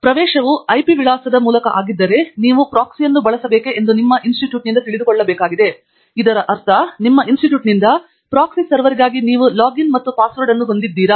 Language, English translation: Kannada, And, in case the access is through IP address, then we also need to know from the institute whether we need to use a proxy, and which means that whether you have a login and password for the proxy server from your institute